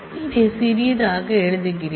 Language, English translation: Tamil, Let me write it in smaller